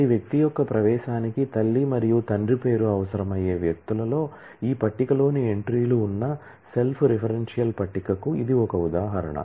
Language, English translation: Telugu, This is an example of a self referential table which of persons which where every person’s entry needs the name of the mother and the father which are also entries in this table